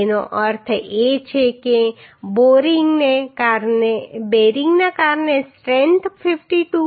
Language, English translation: Gujarati, That means the strength due to bearing is coming 52